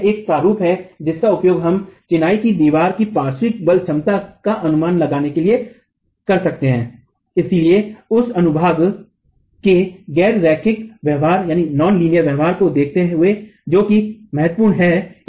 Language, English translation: Hindi, So, this is one format that we could use to estimate the lateral force capacity of a masonry wall but considering the nonlinear behavior of the section that is critical